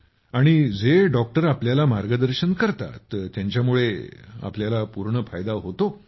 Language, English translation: Marathi, And the guidance that doctors give you, you get full benefit from it